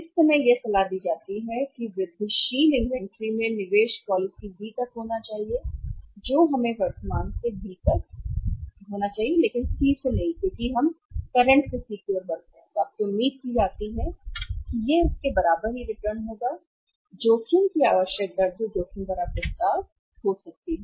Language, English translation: Hindi, At this moment it advisable that incremental investment in the inventory should be up to the policy B we should you from the current to B but not to C because we move from current to C then you are expected rate of return it just equal to the required rate of return that can be the risky proposition